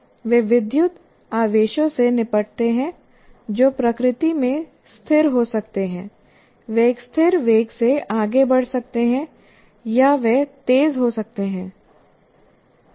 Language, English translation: Hindi, And electrical charges can be static in nature or they can be moving at a constant velocity or they may be accelerating charges